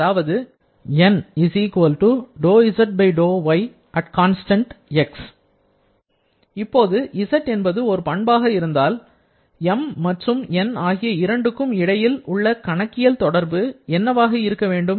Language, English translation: Tamil, Now, if z is a property, then what should be the mathematical relation between M and N